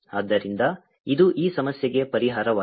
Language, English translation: Kannada, so that is the solution of this problem